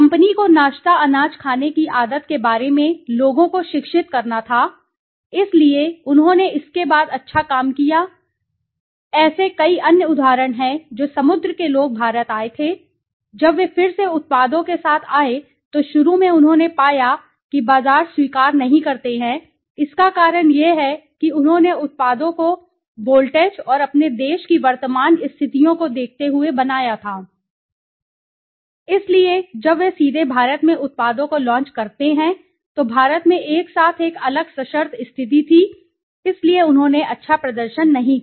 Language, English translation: Hindi, The company had to educate the people on the habit of eating the breakfast cereal, so they did well after that so similarly there are so many other examples well Sea men came to India when they again came to with the products initially they found that the markets not accept it the reason because they had made the products looking at the voltage and the current conditions of their country right, so when they directly launch the products in India, India had a different conditional together so they did not do well right